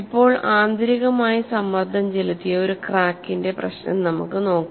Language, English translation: Malayalam, Now let us take a problem of internally pressurized crack